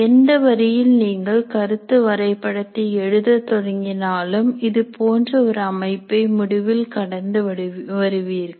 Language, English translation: Tamil, In whatever way when you start writing the concept map, in the end you can clean it up to bring it into some kind of a structure like this